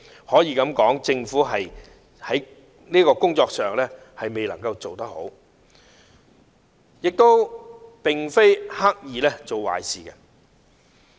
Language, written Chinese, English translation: Cantonese, 可以說政府未有做好這項工作，但也並非刻意做壞事。, We can say that the Government has not done its job well but it has not done evil intentionally